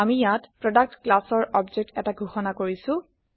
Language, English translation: Assamese, Here we are declaring an object of the Product class